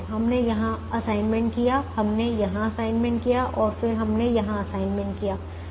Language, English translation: Hindi, we have made assignments here, we made assignments here and then we made assignments here